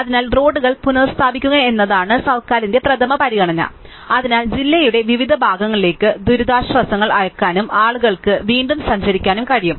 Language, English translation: Malayalam, So, the first priority of the government is to restore the roads, so that relief can be sent to various parts of the district and also people can start moving around again